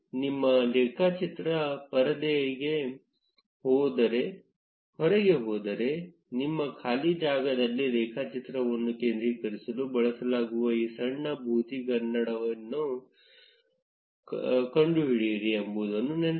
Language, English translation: Kannada, Remember that if your graph goes off the screen, then find out this small magnifying glass, which is used to center the graph in your blank space